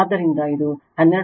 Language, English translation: Kannada, So, this is not 12